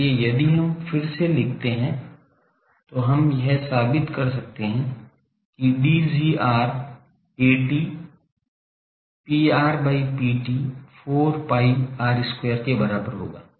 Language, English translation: Hindi, So, if we again write we can prove that D gr A t will be equal to P r by P t 4 pi R square